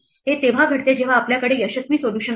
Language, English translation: Marathi, This happens when we have a successful solution